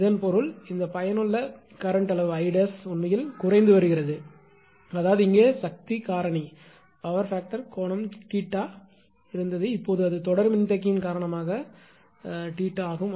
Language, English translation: Tamil, So that means, this effective that current magnitude I dash current actually is decreasing; current is decreasing; that means, here power factor angle was theta, now it is theta dash because of series capacitor